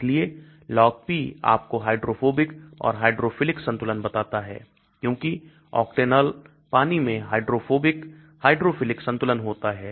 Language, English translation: Hindi, so the Log P tells you the hydrophobic and hydrophilic balance because Octanol water so hydrophobic hydrophilic balance